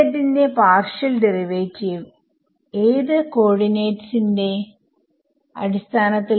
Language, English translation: Malayalam, So, partial derivative of H z with respect to which coordinate